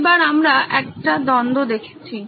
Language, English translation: Bengali, So now we are looking at a conflict